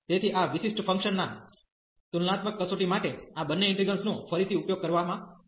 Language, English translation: Gujarati, So, these two integrals will be used again for the comparison test of those special functions